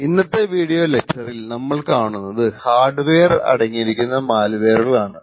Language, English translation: Malayalam, In today's video lecture we would talk about malware which is present in the hardware